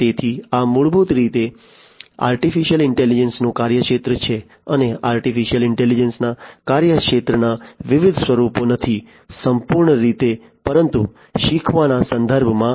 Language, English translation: Gujarati, So, this is basically the scope of artificial intelligence and the different forms of not the scope of artificial intelligence, entirely, but in the context of learning